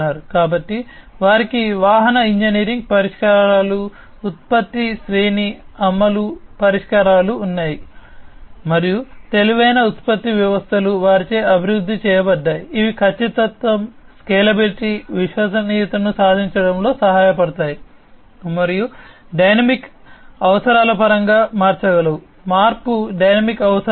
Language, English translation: Telugu, So, they have vehicle engineering solutions, product production line implementation solutions, and the intelligent production systems are developed by them, which can be help in achieving accuracy, scalability, reliability and also being able to change in terms of the dynamic requirements, change in the dynamic requirements, and so on